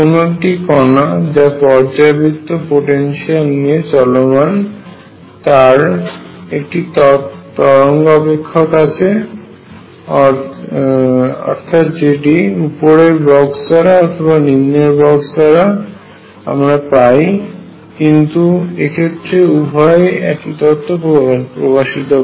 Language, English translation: Bengali, That a particle moving in a periodic potential has the form of the wave function which is given either by this upper box or the lower box both are one and the same thing